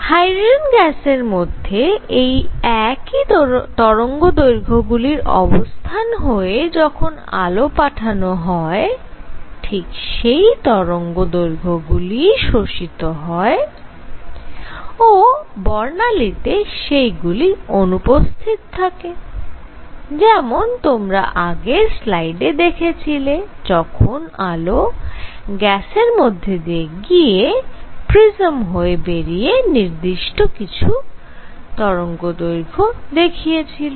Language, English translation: Bengali, Under the same wavelengths, when you let up light pass through gas at the same wavelengths, the light is absorbed and therefore, that was missing from the spectrum as you saw in the previous slide that when the light was passed through gas and then again pass through prism certain wavelengths